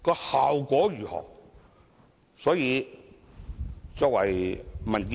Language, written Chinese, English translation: Cantonese, 效果如何呢？, What are the effects?